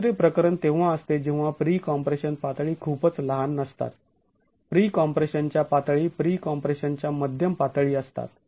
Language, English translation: Marathi, The second case is when the pre compression levels are not too small, the pre compression levels are moderate levels of pre compression